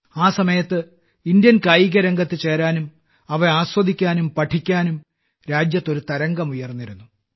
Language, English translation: Malayalam, Immediately at that time, a wave arose in the country to join Indian Sports, to enjoy them, to learn them